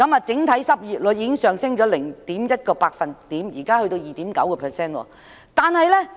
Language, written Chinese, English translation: Cantonese, 整體失業率現已上升 0.1 個百分點至 2.9%。, The overall unemployment rate has currently already risen by 0.1 percentage point to 2.9 %